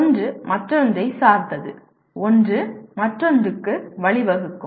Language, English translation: Tamil, One is dependent on the other and one can lead to the other and so on